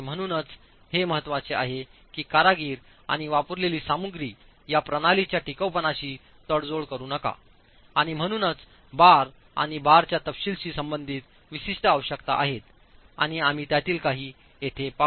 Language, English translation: Marathi, So, it's very important that the workmanship and the materials used do not compromise the durability of these systems and so there are specific requirements as far as reinforcement and detailing of reinforcement is concerned and we look at few of them here